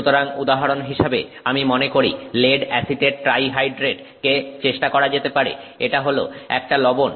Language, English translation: Bengali, So, for example, I think lead acetate, trihydrate can be tried, it's a salt